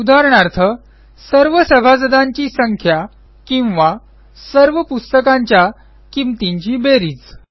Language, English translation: Marathi, Some examples are count of all the members, or sum of the prices of all the books